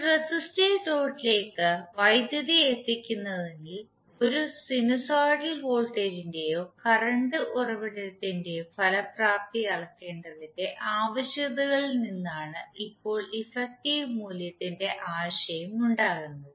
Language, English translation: Malayalam, Now the idea of effective value arises from the need to measure the effectiveness of a sinusoidal voltage or current source and delivering power to a resistive load